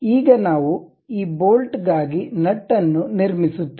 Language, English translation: Kannada, Now, we will construct a nut for this bolt